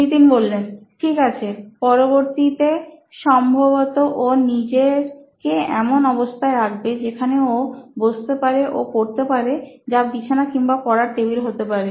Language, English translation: Bengali, Ok, next would be probably placing himself in a position where he can seat in or seat and study which could be he is bed or study table